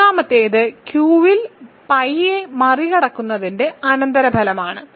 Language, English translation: Malayalam, Third one is a consequence of transcendence of pi over Q